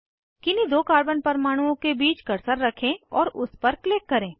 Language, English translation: Hindi, Place the cursor on the bond between any two carbon atoms and click on it